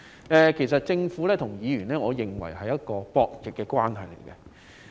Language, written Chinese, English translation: Cantonese, 我認為政府與議員之間是博弈關係。, I consider the relationship between the Government and Members of a gaming nature